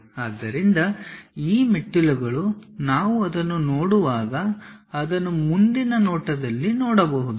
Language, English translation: Kannada, So, these stairs, we can see it in the front view when we are looking at it